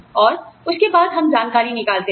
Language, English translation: Hindi, And then, they can get out the information